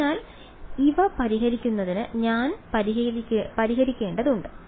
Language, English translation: Malayalam, So, I have to solve for these to solve for